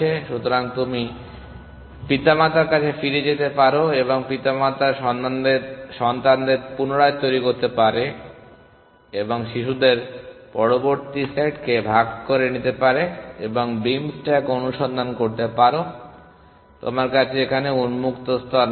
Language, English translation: Bengali, So, you could go back to the parent and regenerate the parent’s children and take the next set of children in divide and conquer beam stack search, you do not have the open layer